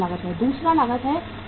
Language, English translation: Hindi, Second is handling cost